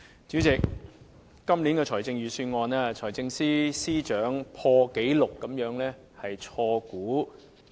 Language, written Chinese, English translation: Cantonese, 主席，在今年的財政預算案，財政司司長錯誤估算的盈餘破了紀錄。, President the Financial Secretarys wrong estimation of surplus in this years Budget has broken the record